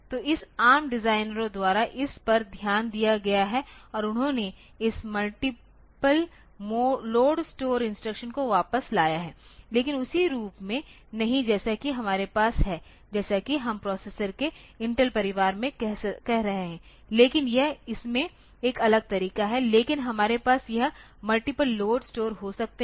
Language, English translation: Hindi, So, this has been looked taken into consideration by this ARM designers and they have brought back this multiple load store instruction, but no not in the same form as we have in this as we are having in say Intel family of processors, but it is in a different way, but you can we can have this multiple load, store